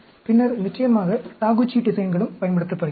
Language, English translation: Tamil, Then, of course, the Taguchi designs are also used